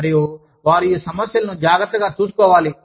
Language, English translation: Telugu, And, they want these problems, to be taken care of